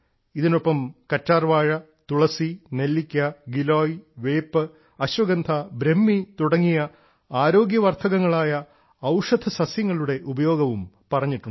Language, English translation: Malayalam, Along with this, the usefulness of healthy medicinal plants like Aloe Vera, Tulsi, Amla, Giloy, Neem, Ashwagandha and Brahmi has been mentioned